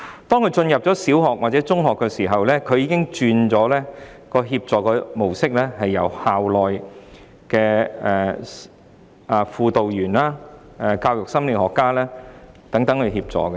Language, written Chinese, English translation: Cantonese, 當他入讀小學或中學，協助模式已經改為由校內的輔導員、教育心理學家等提供協助。, Once they proceed to primary or secondary schools the support will come in the form of assistance provided by school counsellors educational psychologists etc